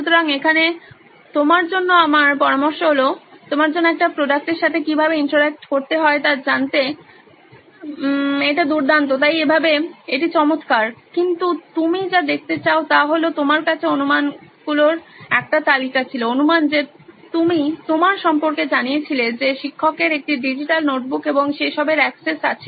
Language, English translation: Bengali, So here is my suggestion to you, this is great for you to get to know how to interact with a product, so that way it is nice but what I would like you to also see is that you had a list of assumptions, assumptions that you had made about you know the teacher has access to a digital notebook and all that